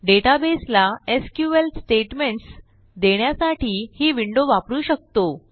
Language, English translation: Marathi, We can use this window, to issue SQL statements to the database